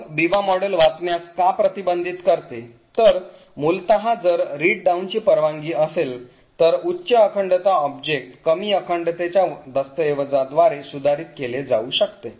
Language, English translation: Marathi, So why does the Biba model prevent read down, essentially if read down is permitted then a higher integrity object may be modified by a lower integrity document